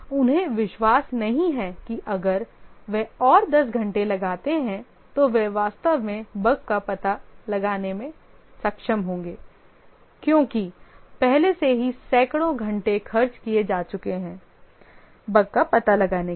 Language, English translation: Hindi, They don't believe that if they put another 10 hours they would really be able to detect the bug because already hundreds of hours have been spent without detecting the bug